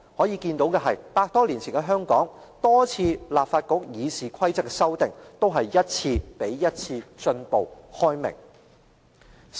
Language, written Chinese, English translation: Cantonese, 由此可見，百多年前的香港，立法局對議事規則多次的修訂，均是一次較一次進步、開明。, We can see that the numerous amendments to RoP introduced since over one hundred years ago are all intended to refine the rules and make them more liberal